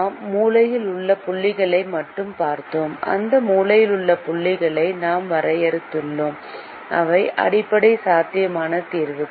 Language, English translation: Tamil, we looked only at the corner points and we defined those corner points which are basic feasible solutions